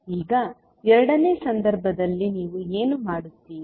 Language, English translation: Kannada, Now, in the second case what you will do